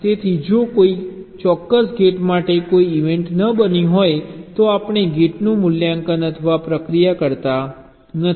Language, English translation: Gujarati, so for a particular gate, if there is no event occurring, we do not evaluate or process the gate at all